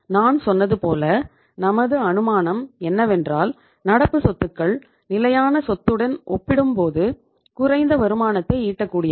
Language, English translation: Tamil, As I told you the our assumption is that current assets are less productive as compared to the fixed assets